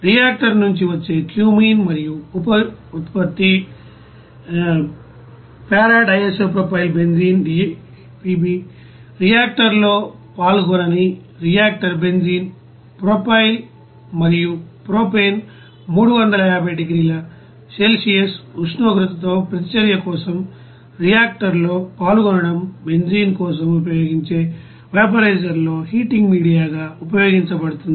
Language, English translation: Telugu, The effluent from the reactor that is cumene and byproduct p DIPB, unreacted benzene, propyl and propane which are not taking part in the reactor for reaction with temperature 350 degrees Celsius is used as the heating media in the vaporizer which is used for the benzene vaporizing